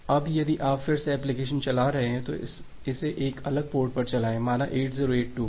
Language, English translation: Hindi, Now if you are running the application again then run it in a different port say 8082